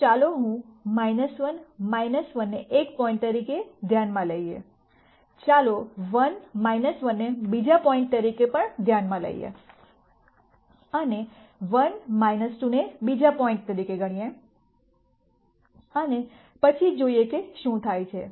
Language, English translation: Gujarati, So, let me consider minus 1 minus 1 as one point, let us also consider 1 minus 1 as another point and let us consider 1 minus 2 as another point and then see what happens